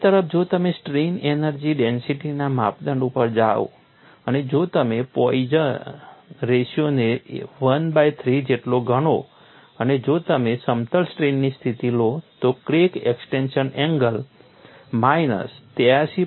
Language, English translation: Gujarati, On the other hand, if you go for strain energy density criterion and if you consider Poisson ratio equal to 1 by 3 and if you take the plane strain situation, the crack extension angle is minus 83